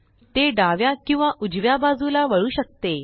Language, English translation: Marathi, It can move backwards It can turn left or right